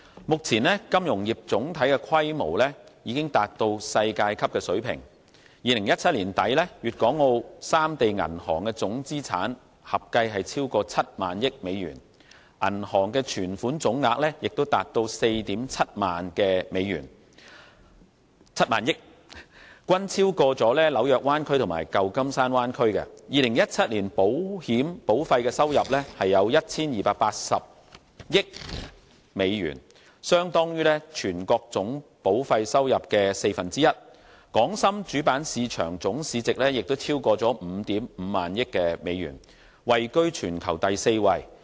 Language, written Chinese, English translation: Cantonese, 目前金融業總體的規模已經達到世界級水平 ，2017 年年底，粵港澳三地銀行總資產合計超過 70,000 億美元，銀行存款總額也達到 47,000 億美元，均超過紐約灣區和舊金山灣區 ；2017 年保險保費收入有 1,280 億美元，相當於全國總保費收入的四分之一；港深主板市場總市值也超過 55,000 億美元，位居全球第四位。, As at end of 2017 the total bank assets in the three places exceeded US7,000 billion and bank savings totalled at US4,700 billion; both surpassed those in the New York Bay Area and San Francisco Bay Area . In 2017 insurance premium revenue generated in the Bay Area amounted to US128 billion which is equivalent to a quarter of the total insurance premium of the whole country . The main board market values of the Hong Kong Stock Exchange and Shenzhen Stock Exchange exceeded US5,500 billion which is the fourth highest in value in the world